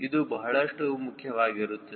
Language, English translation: Kannada, this is extremely important